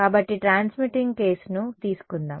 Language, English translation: Telugu, So, what is in let us take the transmitting case